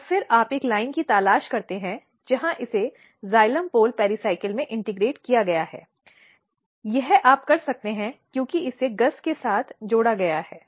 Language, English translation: Hindi, And then you look for a line where this has been integrated in the xylem pole pericycle, this you can do because it has been combined with GUS